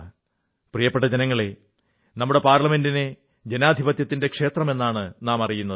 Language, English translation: Malayalam, My dear countrymen, we consider our Parliament as the temple of our democracy